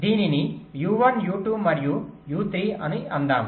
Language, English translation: Telugu, let say u, u one, u two, u, three, like this